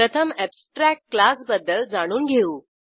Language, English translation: Marathi, Abstract class is always a base class